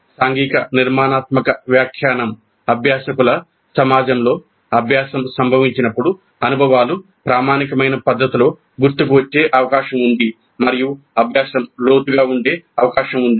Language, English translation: Telugu, So the social constructivist interpretation assumes that when the learning occurs within a community of learners the experiences are more likely to be recollected in an authentic fashion and learning is more likely to be deep